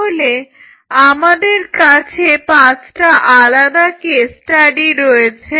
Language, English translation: Bengali, So, we have 5 different case studies